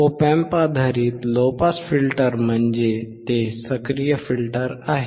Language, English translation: Marathi, Op Amp based low pass filter means it is an active filter